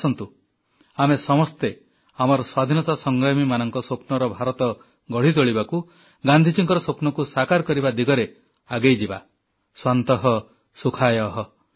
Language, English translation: Odia, Come, let us all march together to make the India which was dreamt of by our freedom fighters and realize Gandhi's dreams 'Swantah Sukhayah'